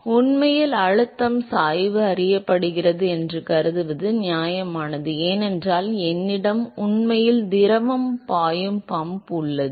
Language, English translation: Tamil, So, it is fair to assume in reality that the pressure gradient is known, because I have pump which is actually flowing the fluid